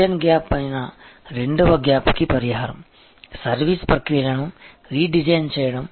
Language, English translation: Telugu, The remedy for the second gap, which is the design gap, is to redesign the service process